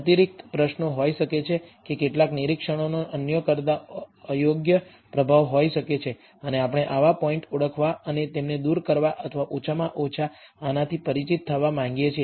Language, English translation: Gujarati, Additional questions may be that some observations may have unduly high influence than others and we want to identify such points and perhaps remove them or at least be aware of this